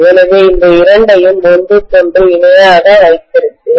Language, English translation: Tamil, So I will have both of these in parallel with each other